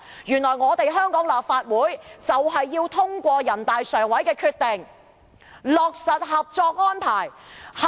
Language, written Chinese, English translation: Cantonese, 原來香港的立法會就是要通過人大常委會的決定，落實《合作安排》。, It turns out that the Legislative Council of Hong Kong has to pass the decision of NPCSC and implement the Co - operation Arrangement